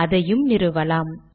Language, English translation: Tamil, Should it install